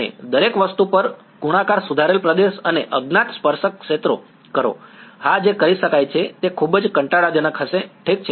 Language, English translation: Gujarati, And do a multiply corrected region and unknown tangential fields on everything right yeah that can be done that is going to be very very tedious ok